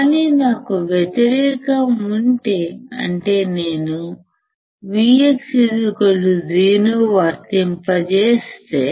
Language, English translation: Telugu, But if I have reverse of this; that means, that if I apply vx equals to 0